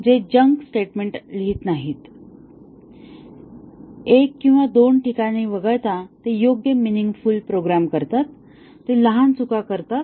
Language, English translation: Marathi, They do not write junk statements, they right meaningful programs excepting that one or two places, they commit small errors